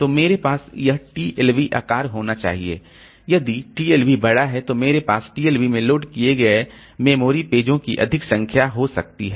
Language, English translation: Hindi, If the TLB is large, then I can have more number of, more amount of memory pages loaded into the TLB